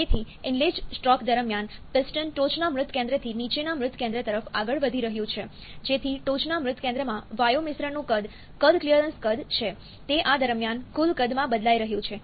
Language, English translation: Gujarati, So, during the inlet stroke, piston is moving from top dead centre to bottom dead centre, so that the volume of the gas mixture at the top dead centre, volume is the clearance volume, it is changing to the total volume during this